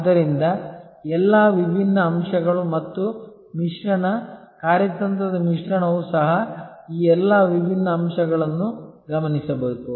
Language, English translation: Kannada, So, all the different aspects and the mix, the strategy mix will have to also therefore, look at all these different aspects